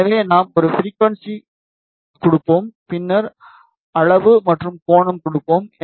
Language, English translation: Tamil, So, like we will be giving a frequency and then magnitude and angle